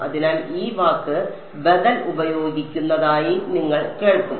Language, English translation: Malayalam, So, you will hear this word being use alternative